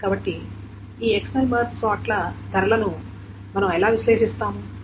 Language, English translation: Telugu, So how do we analyze the cost of this external March sort